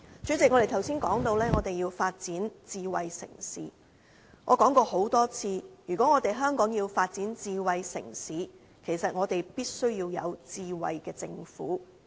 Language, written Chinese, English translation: Cantonese, 主席，我們剛才談到，我們要發展智慧城市，我說過多次，如果香港要發展智慧城市，其實我們必須要有智慧政府。, President as we have said earlier we have to develop Hong Kong into a smart city and I have reiterated that if we intend to do so we must have a smart government